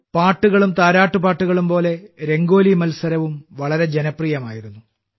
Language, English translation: Malayalam, Just like songs and lullabies, the Rangoli Competition also turned out to be quite popular